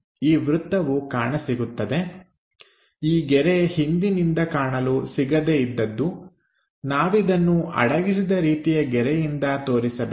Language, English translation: Kannada, This circle will be visible; however, this line which is not visible from backside, we have to show it by hidden line